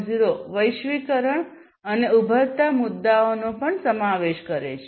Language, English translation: Gujarati, 0 incorporates globalization and emerging issues as well